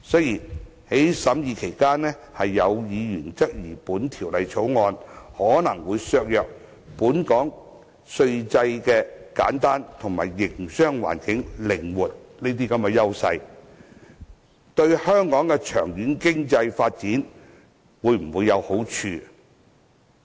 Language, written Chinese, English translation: Cantonese, 在法案委員會審議期間，有議員關注到《條例草案》可能會削弱本港稅制簡單及營商環境靈活的優勢，質疑它對香港長遠經濟發展有否好處。, During the Bills Committees deliberations a Member expressed concern that the Bill might weaken the strengths of Hong Kongs simple tax regime and flexible business environment and queried whether it would be beneficial to the long - term economic development of Hong Kong